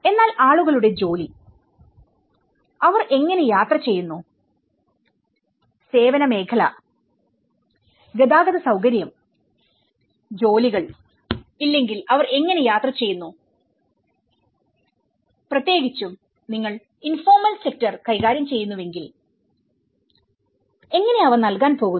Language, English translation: Malayalam, And but what about the jobs of the people, how do they travel, how do they commute when there is no service sector, the transportation facility, there has no jobs, if you are especially, you are dealing with the informal sector how you are going to provide them